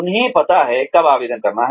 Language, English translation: Hindi, They know, when to apply